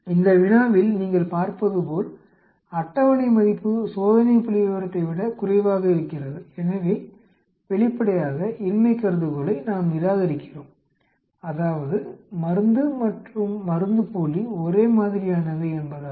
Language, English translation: Tamil, In this problem as you can see the table value is less than the test statistics, so obviously, we reject the null hypothesis which is drug and placebo are the same status quo